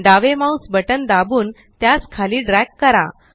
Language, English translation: Marathi, Press the left mouse button and drag it down